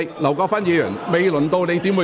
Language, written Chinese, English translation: Cantonese, 劉國勳議員，請提問。, Mr LAU Kwok - fan please ask your question